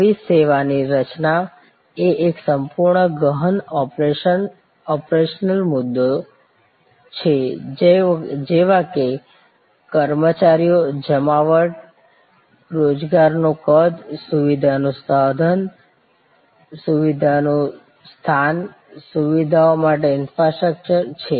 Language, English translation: Gujarati, New service creation of course, as a whole lot of deeper operational issues like personnel, deployment, sizing of employment, the facility location, infrastructure for facilities